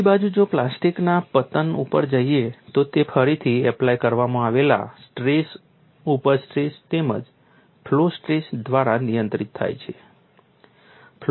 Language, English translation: Gujarati, On the other hand, we go to plastic collapse, this is controlled by again applied stress, yield stress as well as flow stress